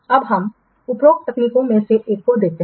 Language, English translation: Hindi, Now let's see one by one, these above techniques